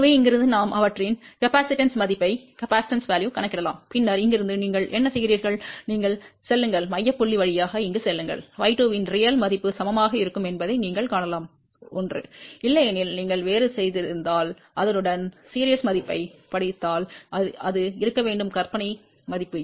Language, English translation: Tamil, So, from here we can calculate their capacitance value, then from here what you do, you go through the center point go over here and you can see that real value of the y 2 will be equal to 1, it has to be if otherwise you have made a mistake and read the corresponding value of the imaginary value